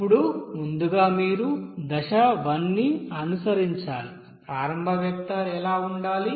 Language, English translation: Telugu, Now first of all, that you have to follow that step 1, what should be the initial, you know vector